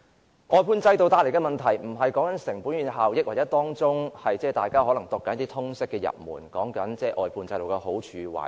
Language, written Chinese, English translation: Cantonese, 關於外判制度帶來的問題，我無意討論成本與效益，或大家可能正在看的通識入門，即關於外判制度的好處和壞處。, Regarding the problems brought forth by the outsourcing system I have no intention to discuss costs and effectiveness or the pros and cons of the outsourcing system outlined in the Liberal Studies for beginners which is probably being read by Members now